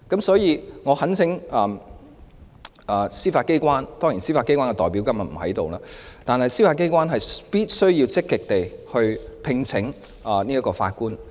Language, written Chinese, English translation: Cantonese, 所以，我懇請司法機關——司法機關的代表今天不在席——必須積極聘請法官。, Thus I implore the Judiciary―representatives from the Judiciary are absent today―to vigorously recruit judges